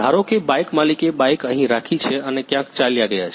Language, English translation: Gujarati, Suppose the bike owner has kept the bike here and gone somewhere